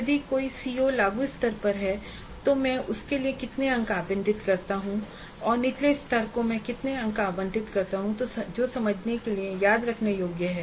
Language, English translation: Hindi, If a C O is at apply level, how many marks do allocate to apply level and how many marks do allocate to the lower levels which is understand and remember